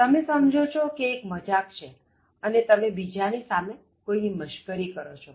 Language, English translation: Gujarati, You think that it is funny and then you make fun of a person before others